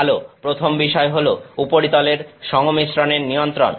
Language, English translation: Bengali, Well, the first thing is the control of surface composition